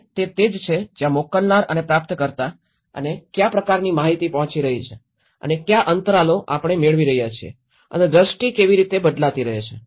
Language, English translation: Gujarati, And that is where what the sender and the receiver and what kind of information has been reaching and what is the gaps we are getting and how the perceptions keep changing